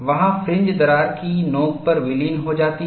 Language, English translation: Hindi, There the fringes would merge at the crack tip